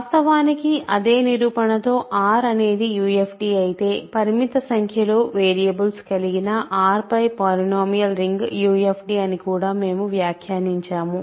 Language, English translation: Telugu, In fact, we also commented that with the same proof shows that if R is a UFD, a polynomial ring over R in any number of variables finite number of variables is a UFD